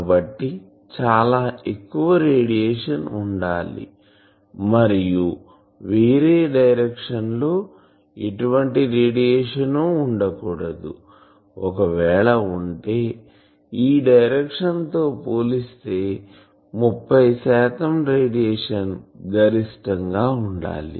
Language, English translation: Telugu, So, much radiation compared to that in some other direction there should not be any radiation compared to that in some other direction there will be some suppose 30 percent of radiation of the maximum